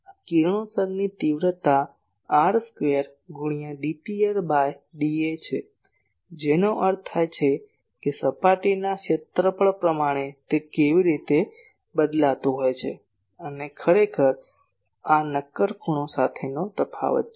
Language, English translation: Gujarati, This is the radiation intensity is r square into d P r ,d A that means per surface area how that is varying and this is actually the variation along the solid angle